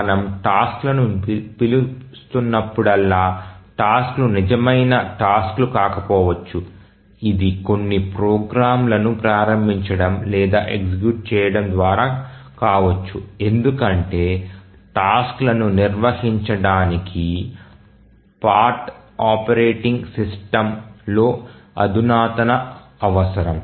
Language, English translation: Telugu, The tasks may not be real tasks actually even though we are calling tasks it may be just invoking running certain programs because handling tasks require sophistication on the part of operating system